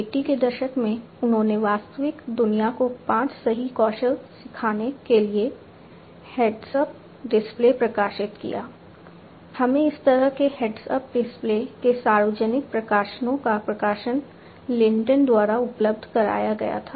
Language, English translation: Hindi, In 1980s he published heads up display for teaching real world five right skills we are done this publication of public publications of this kind of heads up displays was made available by Lintern